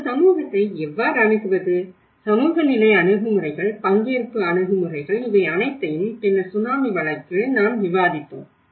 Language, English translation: Tamil, How to approach a community, the social level approaches, participatory approaches, all these we did discussed about it